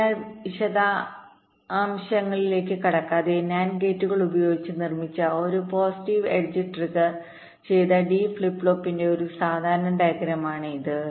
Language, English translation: Malayalam, so, without going into the detail, this is a typical diagram of a positive edge triggered d flip flop constructed using nand gates